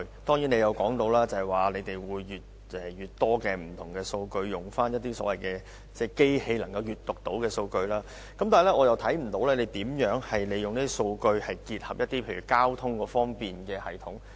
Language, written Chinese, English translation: Cantonese, 局長提到，他們會逐漸開放更多數據，包括機器能夠閱讀的數據，但是，我看不到當局如何利用這些數據結合交通系統。, The Secretary mentioned that more data will be released including data in machine - readable format . However I do not see how the authorities will use these data in conjunction with the transport system